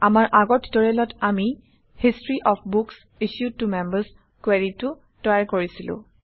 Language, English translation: Assamese, In our previous tutorials, we created the History of Books Issued to Members query